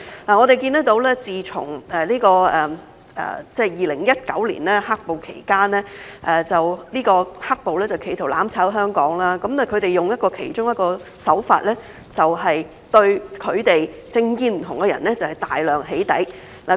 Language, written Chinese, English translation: Cantonese, 我們看到自從2019年"黑暴"期間，"黑暴"企圖"攬炒"香港，他們用的其中一個手法，就是對政見不同的人大量"起底"。, We have seen that during the period of black - clad violence in 2019 the black - clad people attempted to mutually destroy Hong Kong and one of the tricks that they used was intensive doxxing against people with different political views